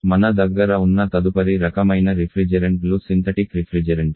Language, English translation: Telugu, Next kind of refrigerants we have a synthetic refrigerants